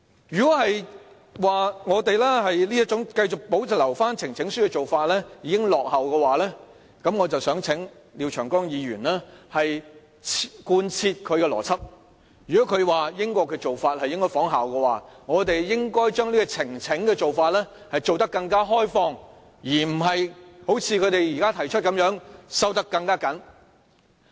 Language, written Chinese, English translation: Cantonese, 如果我們繼續保留呈請書的做法已落伍，那我想請廖長江議員貫徹他的邏輯，如果他認為應仿效英國的做法，我們應把呈請的做法做得更開放，而不是好像他們現在建議的修訂般收得更緊。, If Mr Martin LIAO really thinks that the presentation of petition is already outdated and we should not retain it then I must ask him to apply this line of reasoning consistently . If he thinks that we should follow the practice of the United Kingdom he should support the idea of further liberalizing the presentation of petitions instead of putting forward a proposal of tightening the requirements